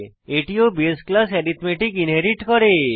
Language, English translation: Bengali, This inherits the base class arithmetic